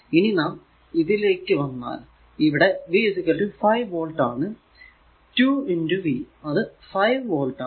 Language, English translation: Malayalam, Now, if you come to this one here, V is equal to 5 volt and is equal to 2 into V